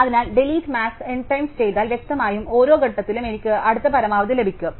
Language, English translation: Malayalam, So, if I do delete max n times, clearly, at each point I get the next maximum